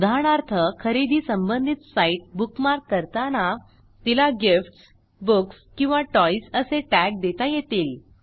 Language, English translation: Marathi, * For example, when you bookmark a shopping site, * You might tag it with the words gifts, books or toys